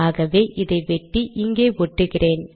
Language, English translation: Tamil, So I have cut, lets paste it here